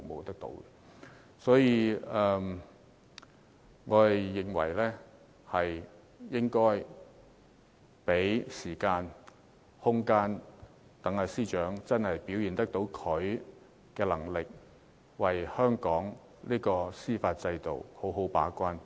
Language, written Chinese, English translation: Cantonese, 因此，我們應該給司長時間和空間，讓她表現她的能力，為香港司法制度好好把關。, For this reason we should give the Secretary for Justice time and room for her to manifest her capabilities and act as a good gate - keeper for the judicial system of Hong Kong